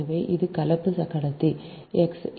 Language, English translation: Tamil, so this is the conductor p two